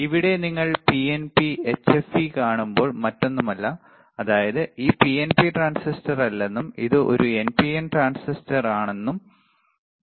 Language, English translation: Malayalam, Here when you see PNP HFE there is no change right; that means, that this is not PNP transistor it is not an PNP transistor, and it is an NPN transistor